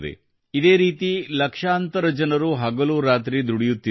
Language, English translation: Kannada, Similarly, millions of people are toiling day and night